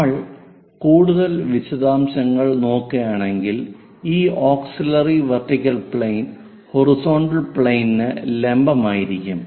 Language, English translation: Malayalam, If we are looking at more details this auxiliary vertical plane perpendicular to horizontal plane